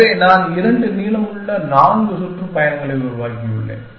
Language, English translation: Tamil, So, I have constructed four tours of length two